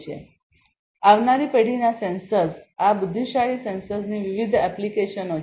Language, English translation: Gujarati, So, there are different applications of next generation sensors these intelligent sensors